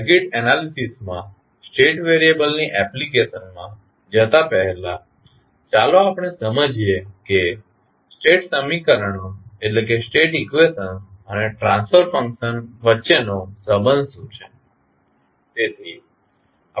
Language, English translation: Gujarati, Before going into the application of state variable in circuit analysis, first let us understand what is the relationship between state equations and the transfer functions